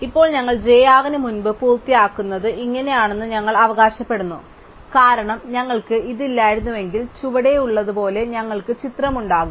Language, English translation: Malayalam, Then, we claim it must be the case that i r finishes before j r, because if we did not have this then we would have the picture as below